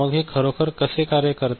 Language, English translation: Marathi, So, how does it really work